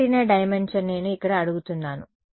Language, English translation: Telugu, Dimension of antenna is what I am asking here